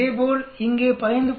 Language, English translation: Tamil, Similarly, here 15